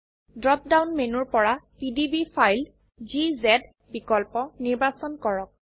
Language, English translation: Assamese, From the drop down menu, select PDB file option